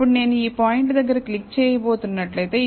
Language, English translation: Telugu, Now, if I am going to click near this point